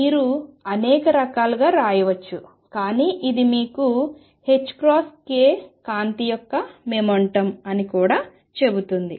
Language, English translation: Telugu, You can write in many different ways, but this also tells you h cross k is the momentum of light